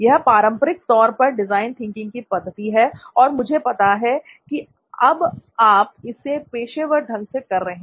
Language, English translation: Hindi, So very classic design thinking sort of approach in this and I know you are also doing it professionally now